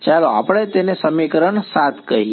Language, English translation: Gujarati, So, what is equation 7 saying